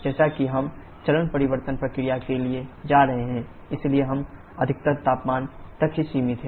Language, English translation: Hindi, As we are going for the phase change process, so we are restricted to the maximum temperature